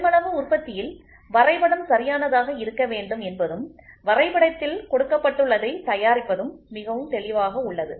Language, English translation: Tamil, So, in mass production it is very clear the drawing has to be made proper and the drawing whatever is given in the drawing that has to be produced